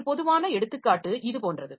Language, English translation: Tamil, A typical example is like this